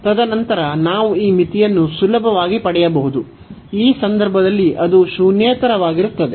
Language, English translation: Kannada, So, now since this limit is same this limit is a non zero number